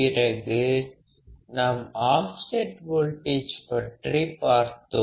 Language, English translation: Tamil, And then we have seen how offset voltages comes into play